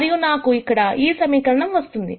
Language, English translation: Telugu, And I have this equation right here